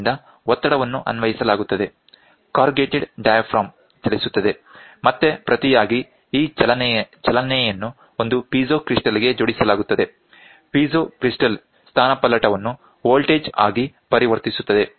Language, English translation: Kannada, So, the pressure is applied the diaphragm corrugated diaphragm moves and this movement, in turn, is giving is attached to a piezo crystal, piezo crystal converts displacement into voltage